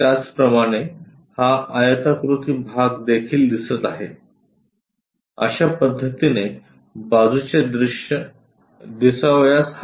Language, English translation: Marathi, Similarly, this rectangle portion also visible there; that is way side view supposed to look like